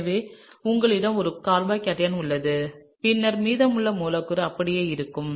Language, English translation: Tamil, So, you have a carbocation that’s here and then the rest of the molecule remains the same